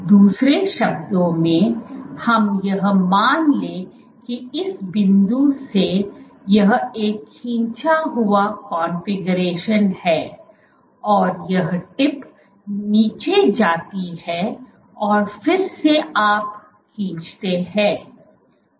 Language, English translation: Hindi, In other words, let’s say this is a pulled configuration from this point the tip goes down and then you again pull